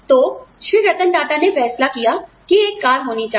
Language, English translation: Hindi, Rattan Tata decided that, there should be a car